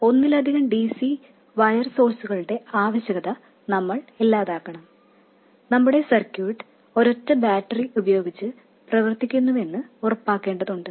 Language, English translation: Malayalam, First of all we have to eliminate the need for multiple DC bias sources we have to make sure that our circuit works with a single battery